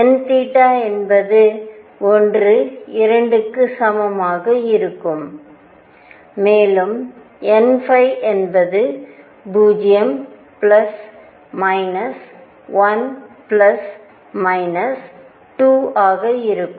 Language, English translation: Tamil, n theta would be equal to 1 2 and so on, n phi will be 0 plus minus 1 plus minus 2 and so on